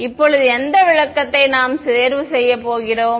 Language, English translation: Tamil, Now which interpretation now we are going to choose